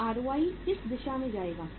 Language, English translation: Hindi, Now, in what direction ROI will move